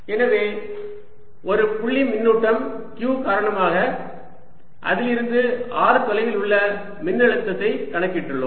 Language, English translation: Tamil, so we have calculated potential due to a point charge q at a distance r from it